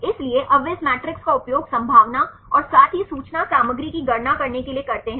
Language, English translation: Hindi, So, now they use this matrix right to calculate the probability as well as information content